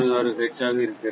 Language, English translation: Tamil, 066 hertz right